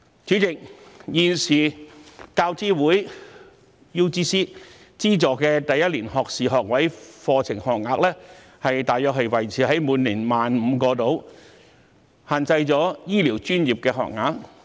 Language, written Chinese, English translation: Cantonese, 主席，現時大學教育資助委員會資助的第一年學士學位課程學額大約維持在每年 15,000 個，因而限制了醫療專業的資助學額。, President the number of first - year - first - degree places funded by the University Grants Committee UGC is currently maintained at about 15 000 per year which has in turn limited the number of funded places for healthcare disciplines